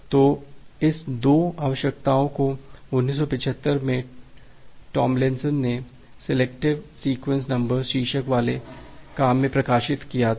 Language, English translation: Hindi, So, this 2 requirement was published by Tomlinson in 1975 in a part breaking work titled “Selecting Sequence Numbers”